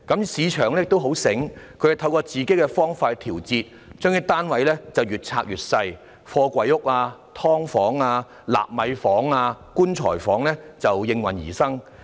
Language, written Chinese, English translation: Cantonese, 市場上的發展商很聰明，透過自己的方法作調節，興建單位的面積越來越小，貨櫃屋、"劏房"、納米房及"棺材房"便應運而生。, The developers in the market are very clever through adjustment in their own way the area of flats they built are becoming smaller and smaller container flats subdivided units nano rooms and coffin cubicles emerged as a result